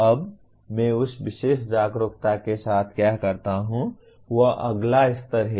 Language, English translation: Hindi, Now what do I do with that particular awareness is the next level